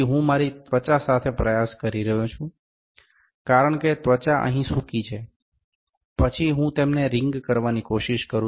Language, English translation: Gujarati, So, I am trying to rub it to my skin, because skin is dry here, then I am trying to wring them